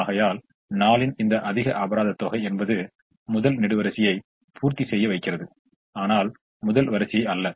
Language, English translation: Tamil, therefore, this penalty, higher penalty of four, makes me look at the first column first and not the first row